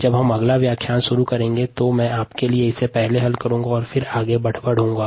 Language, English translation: Hindi, therefore, what i am going to do is, when we begin the next lecture, i am going to solve this first for you and then go forward